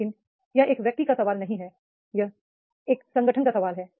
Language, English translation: Hindi, But it is not the question of an individual, it is a question of organization